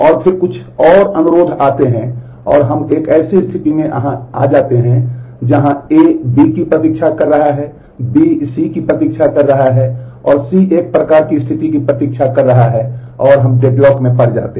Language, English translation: Hindi, And then some more requests come and we come to a state where A is waiting for B, B is waiting for C,C is waiting for a kind of a situation and we get into a deadlock